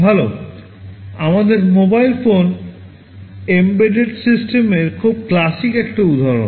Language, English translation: Bengali, Well, our mobile phone is a very classic example of an embedded system in that respect